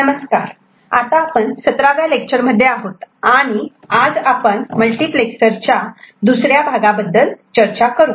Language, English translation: Marathi, Hello everybody, we are in the 17th class and this is where we discuss the Multiplexer, second part of the multiplexer